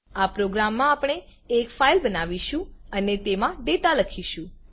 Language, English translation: Gujarati, This is how we create a file and write data into it